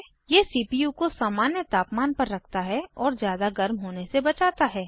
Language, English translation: Hindi, It keeps the temperature of the CPU normal and prevents overheating